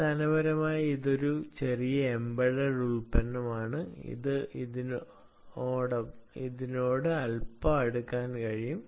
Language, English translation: Malayalam, basically, this is a small embedded product which can be go little closer to this